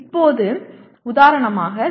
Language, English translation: Tamil, Now for example instead of 0